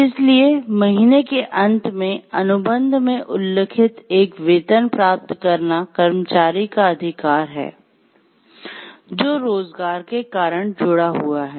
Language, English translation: Hindi, So, to get a salary at the end of the month or as mentioned in the contract is an employee right which is connected with the nature of employment